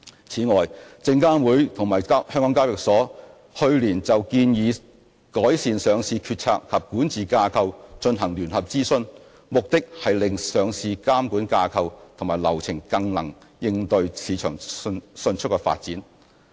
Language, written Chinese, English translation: Cantonese, 此外，證監會及香港交易所去年就"建議改善上市決策及管治架構"進行聯合諮詢，目的是令上市監管架構及流程更能應對市場迅速的發展。, In addition SFC and HKEx jointly conducted a consultation on proposed enhancements to the decision - making and governance structure for listing regulation last year . The consultation sought to enable the listing regulatory structure and procedures to better respond to rapid developments in the market